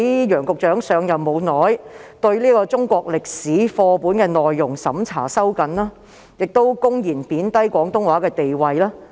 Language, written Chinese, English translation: Cantonese, 楊局長上任後不久便收緊中國歷史課本的內容審查，又公然貶低廣東話的地位。, Not long after Secretary YEUNG took his office he tightened the examination for the contents of Chinese history textbooks and openly belittled the status of Cantonese